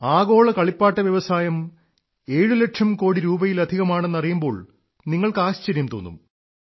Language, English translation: Malayalam, You will be surprised to know that the Global Toy Industry is of more than 7 lakh crore rupees